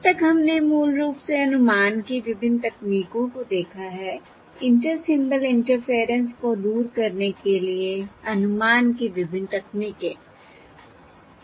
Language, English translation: Hindi, So so far we have looked at um, various techniques, um of estimation, basically various um techniques of estimation to overcome Inter Symbol Interference